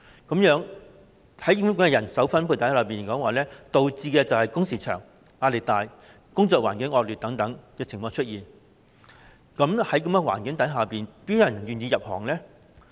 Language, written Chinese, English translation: Cantonese, 這樣的人手分配情況導致工時長、壓力大、工作環境惡劣等問題出現，這樣，又怎會有人願意入行呢？, Such manpower distribution has led to problems such as long working hours high pressure and poor working conditions . As such how can one be willing to enter this field?